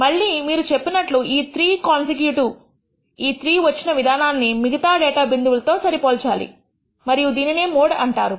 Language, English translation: Telugu, Again you said this is 3 consecutive, 3 occurrences of this as compared to any other data point and that is called the mode